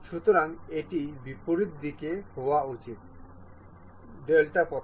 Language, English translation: Bengali, So, it should be in the reverse direction, reverse direction